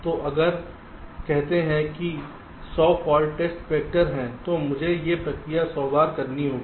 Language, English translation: Hindi, so if there are, say, hundred test vectors at to do this process hundred times right